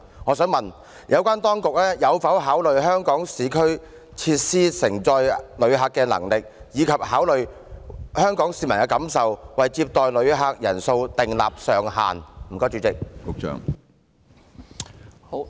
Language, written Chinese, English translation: Cantonese, 我想問有關當局有否考慮市區設施承載旅客的能力，以及香港市民的感受，從而為接待旅客人數設定上限？, I would like to ask whether the authorities concerned have taken into consideration the visitor carrying capacity of urban areas and the feelings of Hong Kong people and will correspondingly put a cap on the number of visitors to be received